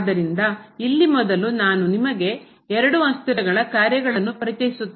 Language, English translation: Kannada, So, here first let me introduce you the Functions of Two Variables